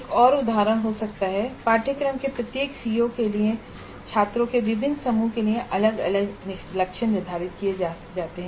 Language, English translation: Hindi, Another example can be targets are set for each CO of a course and for different groups of students separately